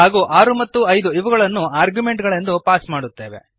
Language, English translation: Kannada, And we pass 6 and 5 as argument We call function operations